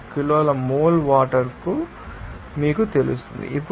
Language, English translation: Telugu, 112 kg mole of water